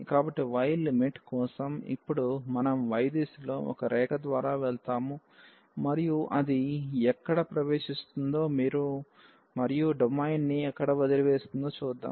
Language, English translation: Telugu, So, for the limit of y, now we will go through a line in the y direction and see where it enters and where it leaves the domain